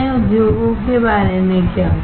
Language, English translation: Hindi, What about other industries